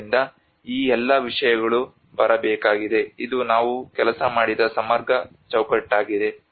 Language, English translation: Kannada, So all these things has to come this is a very holistic framework which we worked on